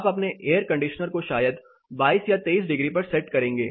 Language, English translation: Hindi, You will set your air conditioner probably at 22 or 23 degrees